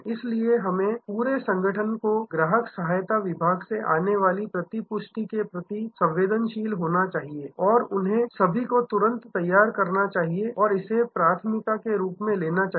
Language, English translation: Hindi, So, the whole organization we should be sensitive to the feedback coming from the customer support department and they must all immediately gear up and take it up as a priority